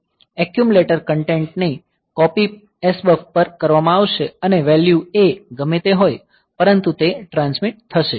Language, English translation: Gujarati, So, accumulators content accumulator content will be copied onto SBUF and whatever be the value A; so, that will be transmitted